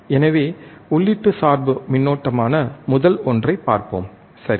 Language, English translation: Tamil, So, let us see the first one which is input bias current, right